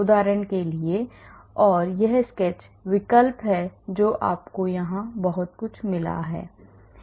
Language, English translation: Hindi, For example, and this is this sketch option you have got a lot of things here